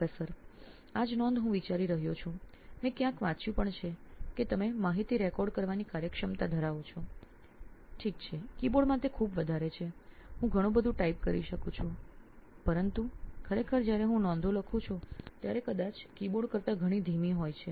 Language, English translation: Gujarati, The same note I am thinking, I have read somewhere also that you are efficiency of recording information okay is extremely high in a keyboard, so I can type so many but actually when I write the notes it is probably a lot slower than an keyboard